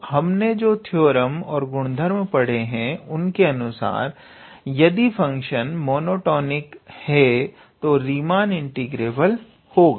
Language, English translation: Hindi, And therefore, the theorem or the properties which we studied earlier that if the function is monotonic, then in that case it is Riemann integrable